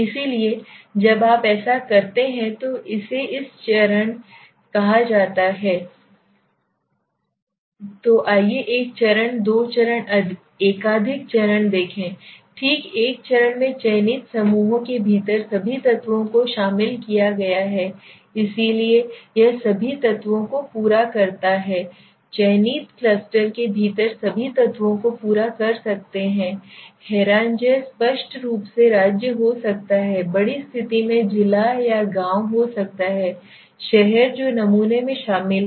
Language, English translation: Hindi, So when you does it is called a one stage right so let s see one stage two stage multiple stage right so in the one stage all the elements within the selected clusters are included so what does it says the elements all the complete the all the elements within the selected clusters could be the state could be the obviously state in the large condition may be the district or the village or the town whatever it is you say are included in the sample